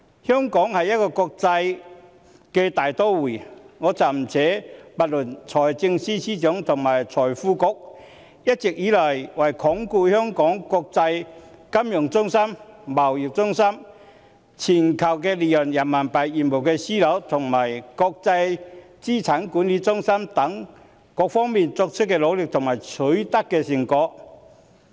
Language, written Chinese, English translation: Cantonese, 香港是一個國際大都會，我暫不說財政司司長及財經事務及庫務局一直以來為鞏固香港國際金融中心、貿易中心、全球離岸人民幣業務樞紐及國際資產管理中心等各方面作出的努力及取得的成果。, Hong Kong is an international metropolis . I will for the time being leave aside the efforts made and the results achieved by the Financial Secretary and the Financial Services and the Treasury Bureau in reinforcing the status of Hong Kong as an international financial centre trade centre global hub for offshore Renminbi business and centre for wealth management